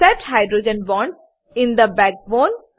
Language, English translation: Gujarati, Set Hydrogen Bonds in the Backbone